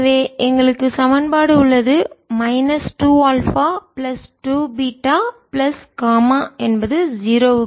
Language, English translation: Tamil, and for i get minus two alpha plus two, beta plus gamma is equal to zero